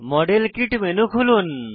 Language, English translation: Bengali, Open the modelkit menu